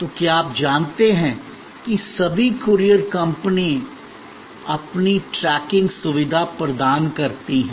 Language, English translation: Hindi, So, that is you know all courier companies they providing you tracking facility